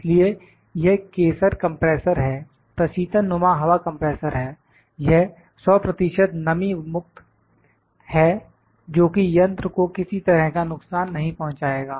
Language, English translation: Hindi, So, this is the Kaeser compressor, it is refrigeration type air compressor, it is 100 percent moisture free that is not going to harm the machine